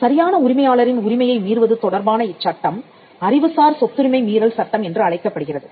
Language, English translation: Tamil, A violation of a right of right owner is what is called an intellectual property law as infringement